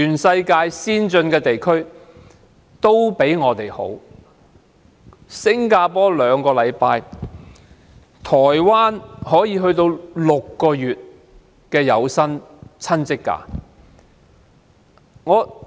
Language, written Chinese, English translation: Cantonese, 新加坡設有兩周侍產假，台灣則有長達6個月的有薪親職假。, Singapore offers two weeks of paternity leave and in Taiwan people can take as long as six months of paid parental leave